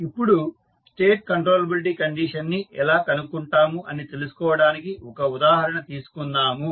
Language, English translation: Telugu, Now, let us take one example so that you can understand how we find the State controllability condition